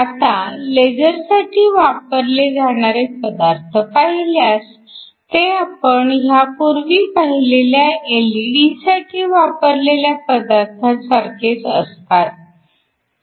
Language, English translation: Marathi, Now, if you look at materials at we use for laser, these are very similar to the materials that we saw earlier for LED’s